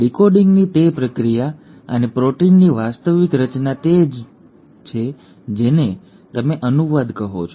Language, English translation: Gujarati, That process of decoding and the actual formation of proteins is what you call as translation